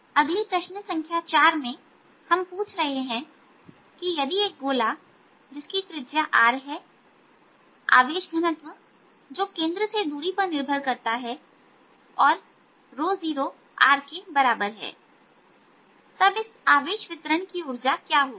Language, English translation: Hindi, next, question, number four: we are asking: if a sphere of capital radius r has a charge density which depends on the rate distance from the centre and is equal to rho, zero r, then what will be the energy of this charge distribution